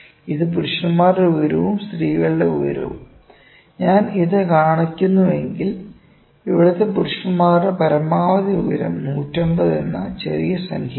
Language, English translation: Malayalam, It the height of the men let me this curve and height of the women, if I show this the maximum height of the men here is let me say at 150 a small number